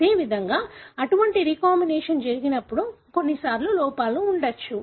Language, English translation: Telugu, As is the case, when such recombination takes place, at times there could be error